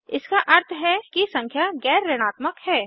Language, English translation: Hindi, It means that the number is non negative